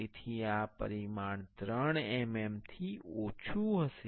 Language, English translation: Gujarati, So, this dimension will be less than 3 mm